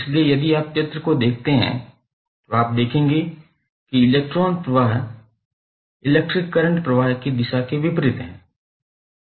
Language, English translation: Hindi, So, if you see the figure you will see that the flow of current is opposite to the direction of flow of electrons